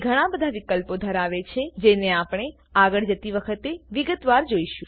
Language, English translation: Gujarati, It contains many options which we will see in detail as we go along